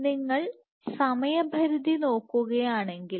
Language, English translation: Malayalam, So, if you follow the time span